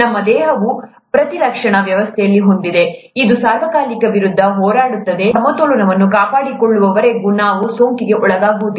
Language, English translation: Kannada, Our body has immune system which fights against this all the time, and as long as this balance is maintained, we don’t get infection